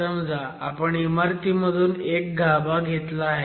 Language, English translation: Marathi, Let's say you extract a core from a structure